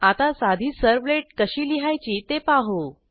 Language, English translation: Marathi, Now, let us learn how to write a simple servlet